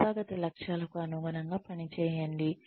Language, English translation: Telugu, And work, in line with the, organizational goals